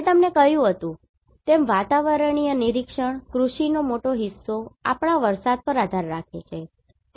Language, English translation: Gujarati, Atmospheric observation as I told you, the major portion of the agriculture depends on our rain, right